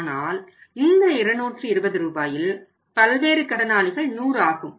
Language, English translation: Tamil, But if you are out of this 220 rupees how much is a sundry debtors 100